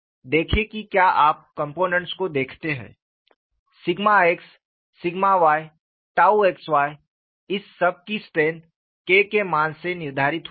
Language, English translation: Hindi, See, if you look at the components, sigma x sigma y tau xy, the strength of all these are determined by the value of K